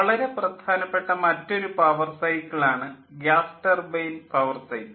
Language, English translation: Malayalam, another power cycle which is also very important, that is the gas turbine power cycle